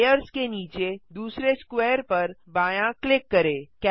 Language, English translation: Hindi, Left click the second square under Layers